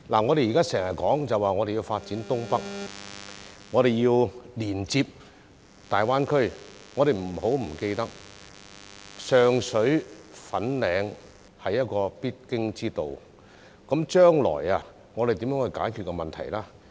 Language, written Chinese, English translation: Cantonese, 我們時常說要發展新界東北並連接大灣區，但不要忘記上水、粉嶺是必經之道，我們將來如何解決水浸問題呢？, We often say that we need to develop the North East New Territories and connect to the Greater Bay Area but we must not forget that Sheung Shui and Fanling are vital places on the way . How are we going to solve the flooding problem in the future?